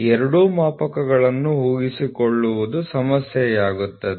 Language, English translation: Kannada, So, retaining both gauges will be a problem